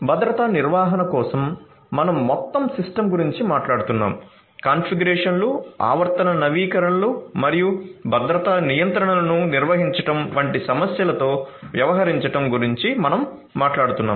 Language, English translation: Telugu, For security management we are talking about the system as a whole, we are talking about dealing with issues of configurations, periodic updates and managing the security controls